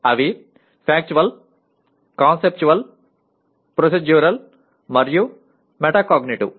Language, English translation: Telugu, These are Factual, Conceptual, Procedural, and Metacognitive